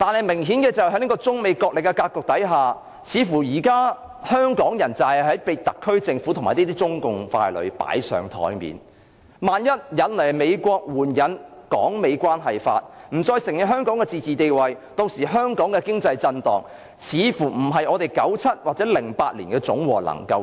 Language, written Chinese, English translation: Cantonese, 明顯地，在中美角力的格局下，香港人似乎被特區政府和中共傀儡擺上檯面，萬一引來美國援引《香港關係法》，不再承認香港的自治地位，造成的經濟震盪恐怕會超過1997年及2008年的總和。, Obviously in the struggles between China and the United States Hong Kong people seem to have been put on the spot by the Hong Kong Government and puppets of CPC . If by any chance the United States invokes the Hong Kong Policy Act because of that and ceases to recognize Hong Kongs autonomous status I am afraid the economic turmoil thus caused will be more serious than the ones in 1997 and 2008 combined